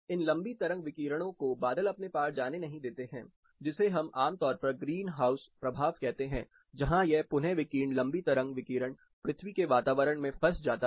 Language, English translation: Hindi, These long wave radiations are trapped by the cloud cover which we generally call green house effect where this re radiator long wave radiation gets trapped in the earth’s atmosphere